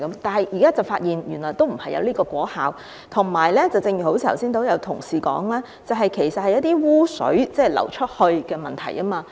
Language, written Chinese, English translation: Cantonese, 但現在卻發現沒有這個果效，而且正如剛才有同事指出，其實這是污水流出的問題。, However now it is found that they fail to produce such an effect . Moreover as pointed out by an Honourable colleague just now the problem in fact lies with discharge of sewage